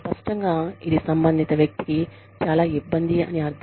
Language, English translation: Telugu, Obviously, this means, a lot to the concerned person